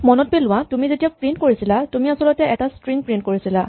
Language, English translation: Assamese, Remember when you are doing print, you are actually printing a string